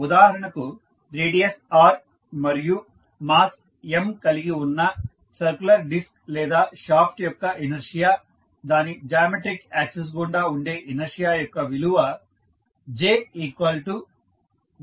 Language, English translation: Telugu, So for instance, if the inertia of a circular disk or r shaft of radius r and mass M, the value of inertia about its geometric axis is given as, j is equal to half of M into r square